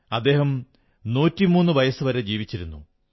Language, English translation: Malayalam, He lived till 103 years